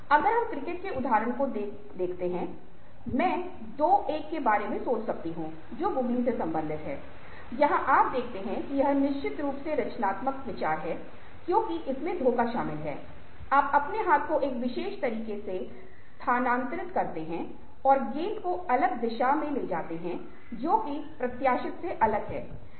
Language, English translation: Hindi, if a looking at the example of, lets say, cricket, i can think of two: one which relates to googly, where you see that its definitely creative idea because deception is involved: you move your hand in a particular way and ball moves in the diff in the different direction from what is anticipation